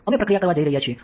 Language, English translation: Gujarati, Now, we are going to do processing